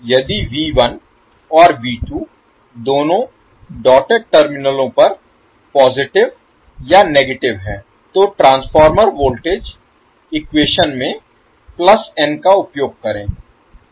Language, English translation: Hindi, If V 1 and V 2 are both positive or both negative at the dotted terminals then we will use plus n in the transformer voltage equation otherwise we will use minus n